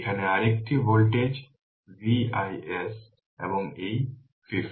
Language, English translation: Bengali, Another one voltage V is here also and this 50